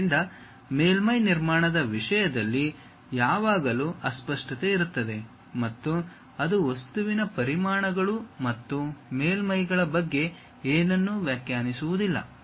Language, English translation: Kannada, So, there always be ambiguity in terms of surface construction and it does not define anything about volumes and surfaces of the object